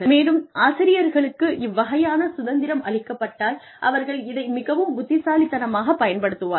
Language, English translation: Tamil, And, if the teachers were given this kind of a freedom, they would use it very wisely